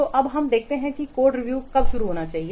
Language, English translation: Hindi, So now let's see when the code review should start